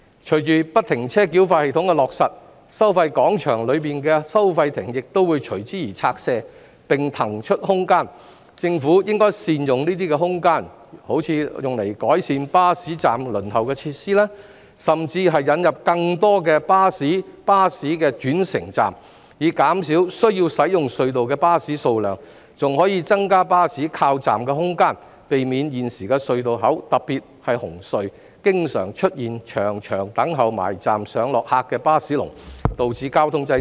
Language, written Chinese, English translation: Cantonese, 隨着不停車繳費系統的落實，收費廣場內的收費亭亦會隨之而拆卸，並騰出空間，政府應善用這些空間，如改善巴士站輪候的設施，甚至引入更多的巴士轉乘站，以減少需要使用隧道的巴士數量，還可增加巴士靠站的空間，避免現時隧道口，特別是紅隧，經常出現長長等候駛近巴士站上落客的"巴士龍"，導致交通擠塞。, The Government should then make good use of the space . For example it should improve the passenger waiting facilities at bus stops and set up more bus - bus interchanges to reduce the number of buses which need to use the tunnels . This will also increase the space for buses to pull over at their stops thereby avoiding traffic congestions caused by the long queues of buses awaiting to pick up and set down passengers at bus stops at the entrances of tunnels especially CHT